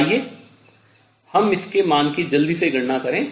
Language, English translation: Hindi, Let us just quickly calculate the value of this